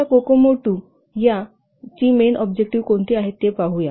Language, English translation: Marathi, So now let's see what are the main objectives of Kokomo 2